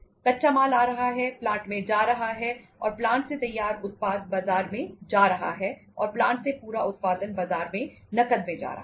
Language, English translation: Hindi, Raw material coming, going to the plant, and from the plant the finished product is going to the market and entire production from the plant is going to the market on cash